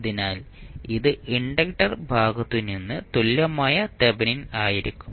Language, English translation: Malayalam, So, this section would be your Thevenin equivalent